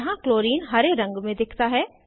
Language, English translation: Hindi, Chlorine is seen in green color here